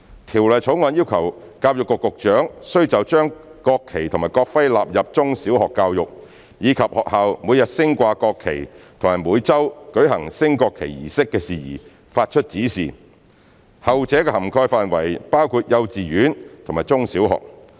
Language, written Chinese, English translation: Cantonese, 《條例草案》要求教育局局長須就將國旗及國徽納入中小學教育，以及學校每日升掛國旗及每周舉行升國旗儀式的事宜發出指示，後者的涵蓋範圍包括幼稚園和中小學。, The Bill requires the Secretary for Education to give directions for the inclusion of the national flag and national emblem in primary education and in secondary education as well as matters relating to the daily display of the national flag and the weekly conduct of a national flag raising ceremony . The latter covers kindergartens primary schools and secondary schools